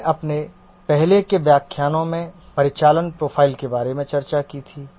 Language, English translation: Hindi, We had discussed about the operational profile in one of our earlier lectures